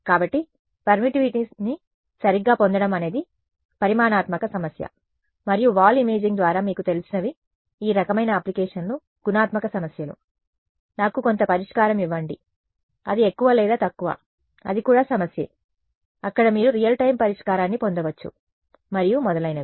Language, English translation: Telugu, So, getting the permittivity correct is what is a quantitative problem and what you know through the wall imaging these kinds of applications are qualitative problems; give me some solution which is more or less it is also problem there you can possibly get real time solution and so on